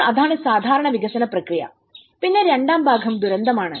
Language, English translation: Malayalam, So that is the usual development process and then the second part is the disaster